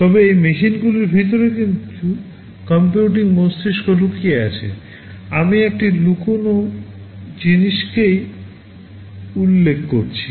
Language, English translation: Bengali, But inside those machines there is some computing brain hidden, that is what I am referring to as this hidden thing